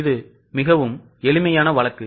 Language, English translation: Tamil, This is a very simple case, very small case